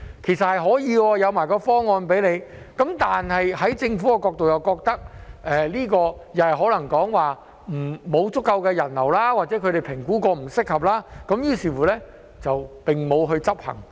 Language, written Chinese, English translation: Cantonese, 其實這是可行的，我們亦有向他提供方案，但在政府的角度而言，他們又可能覺得沒有足夠的人流，或者他們經評估後認為不適合，於是沒有推行。, This is in fact feasible and we have also put forward some proposals to him . However from the Governments perspective they may think there is insufficient people flow or they find it not suitable after assessment so they have not implemented it